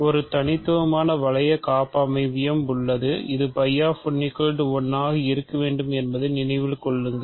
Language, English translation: Tamil, There is a unique ring homomorphism, remember that phi of 1 must be 1